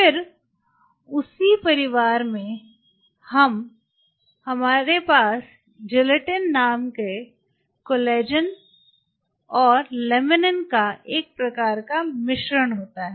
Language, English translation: Hindi, Then in the same family we have a mix kind of stuff of collagen laminin called Gelatin